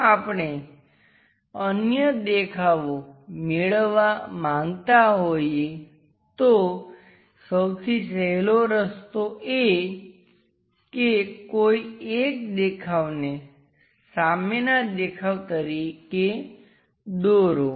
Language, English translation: Gujarati, If we would like to construct other views also, the easiest way is drawing one of the view front view